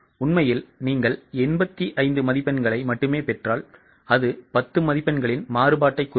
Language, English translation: Tamil, If actually you get only 85 marks, it will mean a variance of 10 marks